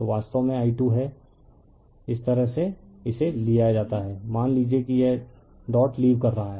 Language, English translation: Hindi, So, this is actually i 2 this is taken like this right suppose it is leaving the dot